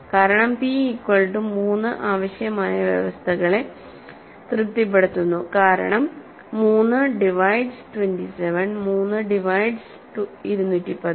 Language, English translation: Malayalam, Because p equal to 3 satisfies the required conditions, right because 3 divides 27, 3 divides 213